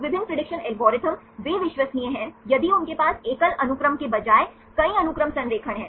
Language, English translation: Hindi, Different prediction algorithms, they are reliable if they have the multiple sequence alignment, rather than a single sequence